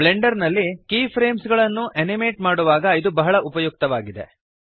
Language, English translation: Kannada, This is very useful while animating keyframes in Blender